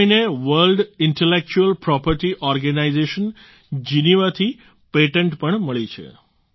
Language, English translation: Gujarati, This month itself he has received patent from World Intellectual Property Organization, Geneva